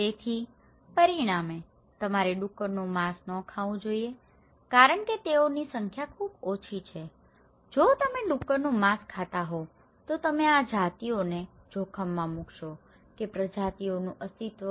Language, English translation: Gujarati, So, as a result, you should not eat pork because they are very less in number so, if you were eating pork, you will endanger these species; the existence of that species